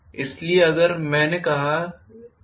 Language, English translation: Hindi, So, if i have let us say